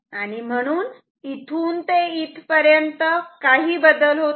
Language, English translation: Marathi, So, here to here no change will occur